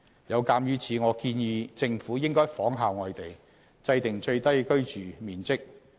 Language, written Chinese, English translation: Cantonese, 有鑒於此，我建議政府應仿效外地，制訂最低居住面積。, As such I suggest that the Government should make reference to overseas practices to formulate a standard for minimum living space